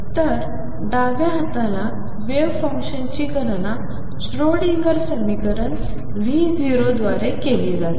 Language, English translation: Marathi, So, on the left hand side the wave function is calculated by the Schrodinger equation V 0